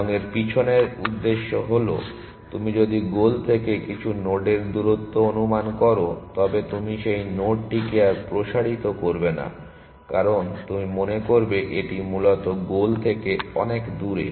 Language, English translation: Bengali, And the intension behind that is if you over at estimates the distance of some node from the goal then you will never explode that node further, because you will think it is too far from the goal essentially